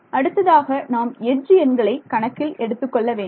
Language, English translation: Tamil, So, the next thing to take into account is the edge the edges right